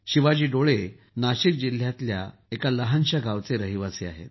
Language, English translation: Marathi, Shivaji Dole hails from a small village in Nashik district